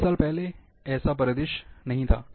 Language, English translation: Hindi, 20 years back, this was not the scenario